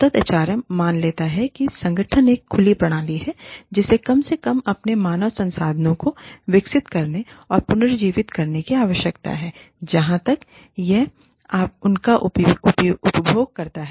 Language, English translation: Hindi, Sustainable HR assumes, that an organization is an open system, that needs to develop and regenerate, its human resources at least, as far as, it consumes them